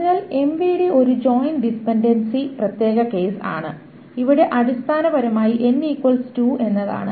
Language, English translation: Malayalam, So, mvd is a special joint, special case of joint dependency where the n equal to 2